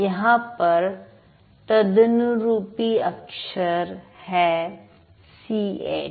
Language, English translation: Hindi, If you look at this, the corresponding letters are C H